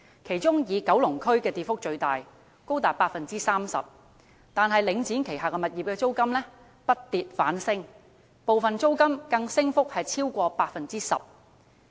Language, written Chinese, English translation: Cantonese, 其中以九龍區的跌幅最大，高達 30%， 但領展旗下物業的租金卻不跌反升，部分租金升幅更超過 10%。, But the rentals of Link REIT properties have been rising rather than declining with some of them having even increased by more than 10 %